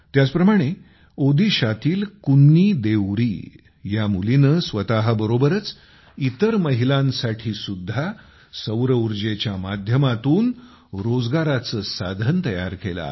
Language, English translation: Marathi, Similarly, KunniDeori, a daughter from Odisha, is making solar energy a medium of employment for her as well as for other women